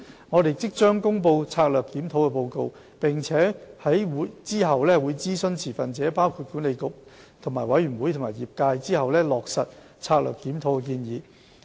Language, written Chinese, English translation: Cantonese, 我們即將公布策略檢討報告，並會在諮詢持份者包括管理局及委員會和業界後，落實策略檢討的建議。, We will soon publish the review report and take forward the recommendations therein upon consultation with the stakeholders including the Council and its boards and the profession